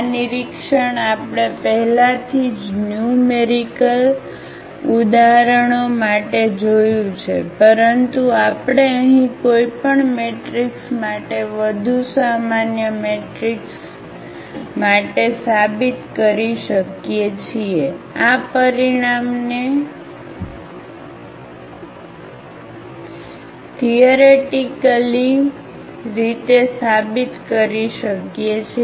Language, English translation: Gujarati, This observation we already have seen for numerical examples, but we can prove here for more general matrix for any matrix we can prove this result theoretically